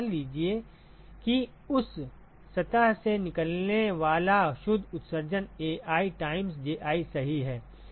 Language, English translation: Hindi, So, supposing the net emission that comes out of that surface is Ai times Ji right